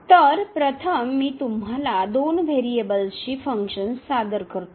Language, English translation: Marathi, So, here first let me introduce you the Functions of Two Variables